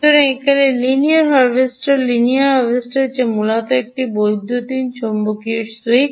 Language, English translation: Bengali, linear harvester which is basically an electromagnetic switch